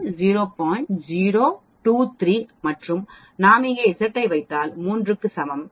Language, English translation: Tamil, 023 and if we put here Z is equal to 3 it will give me as 0